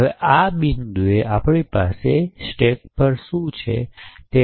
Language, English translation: Gujarati, Now at this point we shall look at what is present on the stack